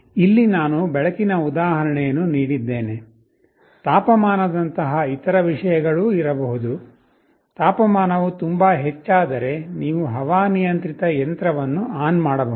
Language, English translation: Kannada, Here, I have given an example of light; there can be other things like temperature, if the temperature becomes too high, you can switch ON the air conditioning machine